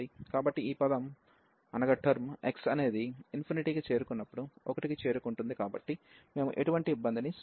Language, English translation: Telugu, So, this term will just approach to 1 as x approaches to infinity, so we will not create any trouble